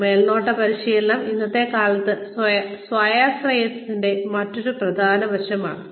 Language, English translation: Malayalam, So, supervisory training is, another very essential aspect of, being self reliant, in today's day and age